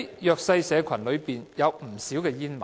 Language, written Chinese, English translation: Cantonese, 弱勢社群中有不少煙民。, Many underprivileged people are smokers